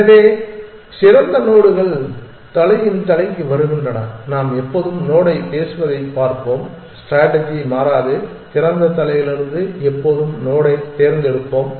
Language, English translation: Tamil, So, the best nodes come to the head of the lets see we always speak node that strategy is does not change we always pick the node from the head of the open